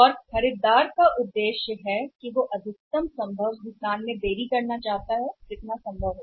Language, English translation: Hindi, And the objective of the buyer is that he wants to delay the payment to the maximum possible time was maximum possible extent